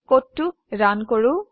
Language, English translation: Assamese, Let us run the code